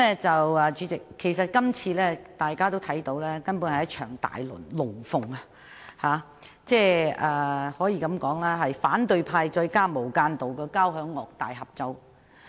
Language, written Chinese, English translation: Cantonese, 代理主席，大家也看到，這次根本是一場"大龍鳳"，可以說是反對派加上"無間道"的交響樂大合奏。, Deputy President as we can see this is merely a spectacular show a symphony played by the opposition camp and the double agents